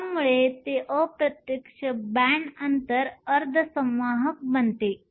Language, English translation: Marathi, This makes it an indirect band gap semiconductor